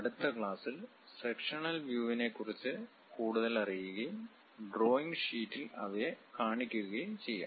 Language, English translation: Malayalam, In next class, we will learn more about the sectional views and represent them on drawing sheet